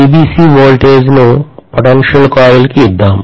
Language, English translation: Telugu, So what I have done is to apply VBC to the potential coil